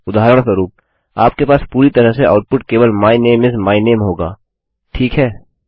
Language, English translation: Hindi, For example, you would literally just have output my name is, my name, Okay